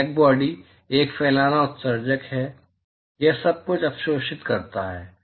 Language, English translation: Hindi, Blackbody is a diffuse emitter, it absorbs everything